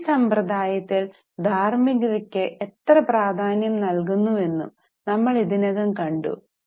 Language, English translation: Malayalam, We have also already seen how in Indian system we emphasize on ethics and moral